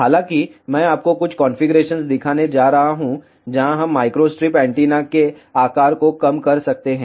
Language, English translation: Hindi, However, I am going to show you some configurations, where we can reduce the size of the microstrip antenna